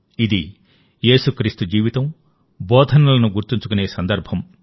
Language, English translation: Telugu, It is a day to remember the life and teachings of Jesus Christ